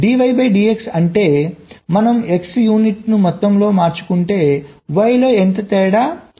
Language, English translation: Telugu, d y, d x denote that if we change x by an unit amount, how much is the difference in y